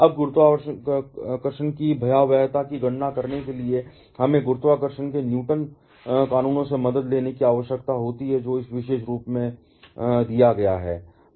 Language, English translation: Hindi, Now, to calculate the magnitude of gravity we need to take the help from Newtons laws of gravitation, which is given by this particular form